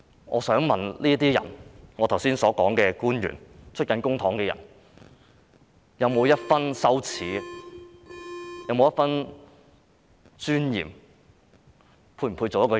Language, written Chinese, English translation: Cantonese, 我想問這些人，我剛才提及的官員、領取公帑的人，有沒有一分羞耻、有沒有一分尊嚴，是否配做一個人？, I have to ask those people government officials and people receiving public money whom I have just mentioned Do they not have the slightest sense of shame? . Do they not have the slightest sense of dignity? . Are they worthy of being a human being?